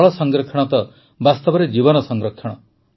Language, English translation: Odia, Water conservation is actually life conservation